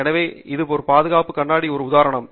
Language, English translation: Tamil, So, here is an example of a safety glass